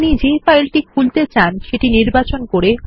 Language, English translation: Bengali, Select the file you want to open and click Open